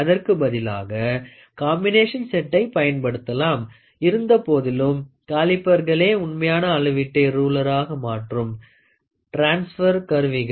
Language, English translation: Tamil, One option is to use a combination set; however, calipers are the original transfer instruments to transfer such measurements onto a ruler